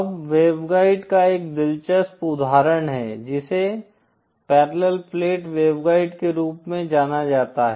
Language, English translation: Hindi, Now an interesting example of a waveguide is what is known as a Parallel Plate Waveguide